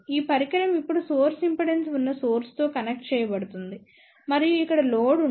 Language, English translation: Telugu, This device is now connected with the source which has a source impedance and there is a load over here